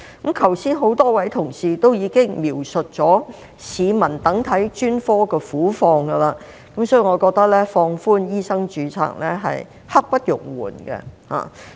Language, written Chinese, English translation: Cantonese, 剛才已有多位同事描述市民等候向專科求診的苦況，所以我覺得放寬醫生註冊刻不容緩。, Earlier on a number of colleagues have described the plight of the public waiting for specialist consultation so I think there is no time to delay in relaxing medical registration